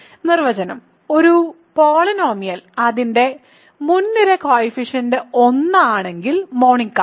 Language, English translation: Malayalam, Definition: a polynomial is monic if its leading coefficient is 1 ok